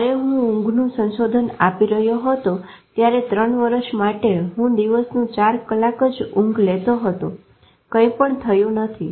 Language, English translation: Gujarati, While I was doing my sleep research, I almost used to sleep four hours in a day for three years and nothing happened